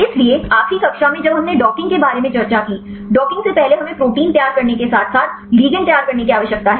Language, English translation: Hindi, So, in the last class when we discussed about the docking; before docking first we need to prepare the protein as well as prepare the ligand